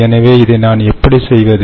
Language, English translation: Tamil, so how do i do this